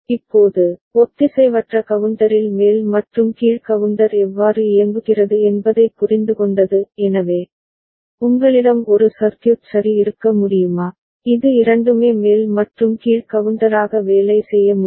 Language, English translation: Tamil, Now, having understood how up counter and down counter works in asynchronous counter ok; so, can you have one circuit ok, which can both work as up counter and down counter